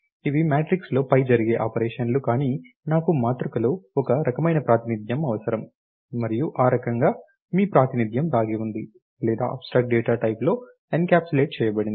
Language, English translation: Telugu, So, the operation is not performing on the matrix or let us say on this, but I am need some kind of representation in the matrix, and that kind your representation is hidden or encapsulated in the abstract data type